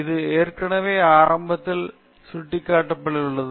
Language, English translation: Tamil, This I have already indicated in the beginning